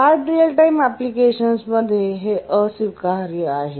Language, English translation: Marathi, And this becomes unacceptable in hard real time applications